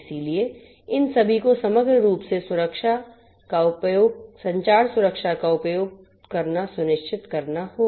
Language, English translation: Hindi, So, using all of these holistically communication security will have to be ensured